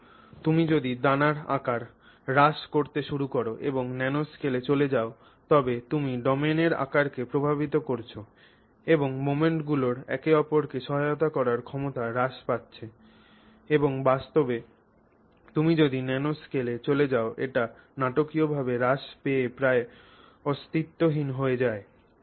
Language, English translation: Bengali, Now if you go to the if you start decreasing the grain size and you go to the nanoscale then you are impacting the domain size and the ability of the moments to assist each other decreases and in fact if you go into the nanoscale it decreases dramatically to the point of being almost non existent